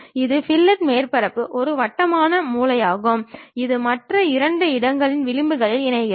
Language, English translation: Tamil, A fillet surface is a rounded corner, connecting the edges of two other surfaces